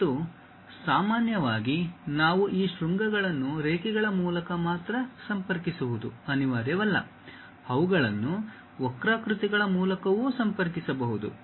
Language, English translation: Kannada, And, usually it is not necessary that we have to connect these vertices only by lines, they can be connected by curves also